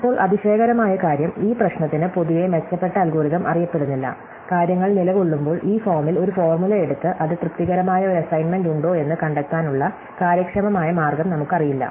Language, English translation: Malayalam, Now, the amazing thing is that in general no better algorithm is known for this problem, at the movement as things stand, we do not know an efficient way to take a formula on this form and find out, whether it has a satisfying assignment